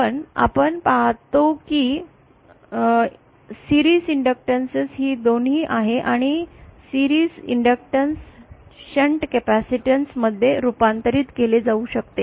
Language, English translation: Marathi, But we see here is the series inductance both this transformation a series inductance can be converted to a shunt capacitance